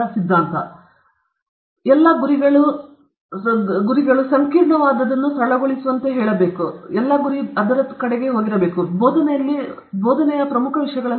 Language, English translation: Kannada, So, he says the most complex of all goals is to simplify; that is also one of the important things in teaching